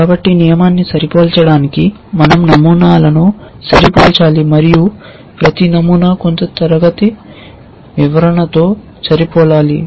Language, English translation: Telugu, So, for matching the rule we have to match patterns and each pattern should match some class description